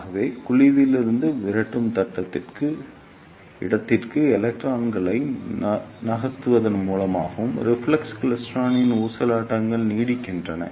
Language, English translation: Tamil, So, this is how oscillations are sustained in the reflex klystron by to and fro movement of electrons from cavity to repeller space